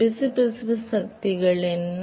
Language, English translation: Tamil, And what about the viscous forces